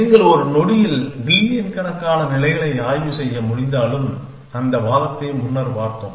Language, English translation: Tamil, Even if you could inspector billions states in a second, we have seen that argument earlier essentially